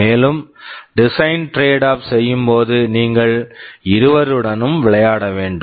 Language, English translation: Tamil, And talking about the design trade off, you will have to play with both of them